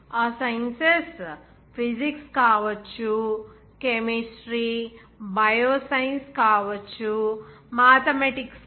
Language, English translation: Telugu, Those sciences may be Physics may be chemistry may be bioscience, even mathematics also